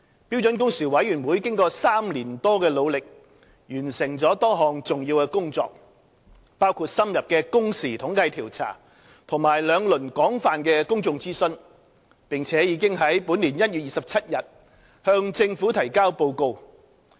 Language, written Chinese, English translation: Cantonese, 標準工時委員會經過3年多的努力，完成了多項重要的工作，包括深入的工時統計調查和兩輪廣泛的公眾諮詢，並已於本年1月27日向政府提交報告。, After three - odd years of effort the Standard Working Hours Committee has completed a number of important tasks which include an in - depth working hours survey and two rounds of broad - based public consultation and submitted its report to the Government on 27 January this year